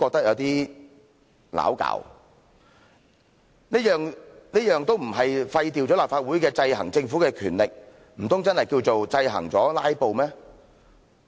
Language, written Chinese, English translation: Cantonese, 若說這些不是廢掉了立法會制衡政府的權力，難道確實是制衡了"拉布"嗎？, Do such amendments really seek to counter filibustering rather than depriving LegCo of its power to exercise checks and balances on the Government?